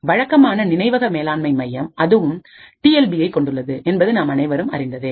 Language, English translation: Tamil, Now as we know the typical memory management unit also has a TLB present in it